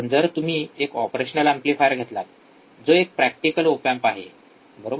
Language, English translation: Marathi, But if you if you take operational amplifier which is a practical op amp, right